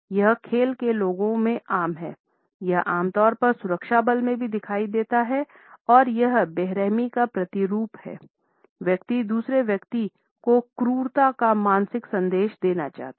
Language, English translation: Hindi, It is common in sports people, it is also commonly visible in security forces and it is an impersonation of the toughness; the person wants to convey a mental toughness to the other person